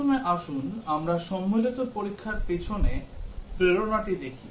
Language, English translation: Bengali, First, let us look at the motivation behind combinatorial testing